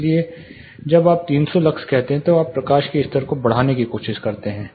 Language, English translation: Hindi, So, when you say 300 lux you try to increase the lighting level